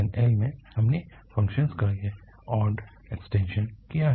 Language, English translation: Hindi, And in the minus L to L, we have made this odd extension of the function